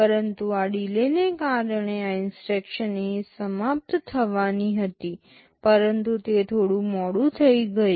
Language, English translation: Gujarati, But because of this delay this instruction was supposed to finish here, but it got delayed